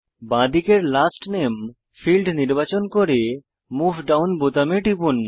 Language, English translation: Bengali, Lets select Last Name field on the left and click the Move Down button